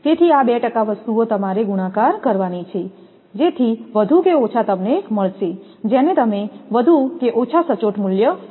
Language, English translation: Gujarati, So, these 2 percent your things you have to multiply, so that more or less you will get that your what you called that more or less accurate values